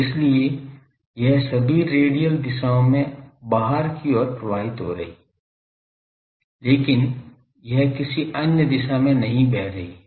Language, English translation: Hindi, So, all radial directions it is flowing out, but in no other direction it is flowing